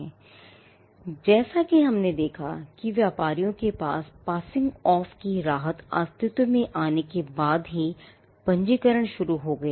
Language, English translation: Hindi, Now, registration as we saw started off only after the relief of passing off existed for traders